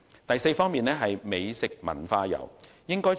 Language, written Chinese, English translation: Cantonese, 第四，發展美食文化遊。, Fourth develop gourmet and cultural tourism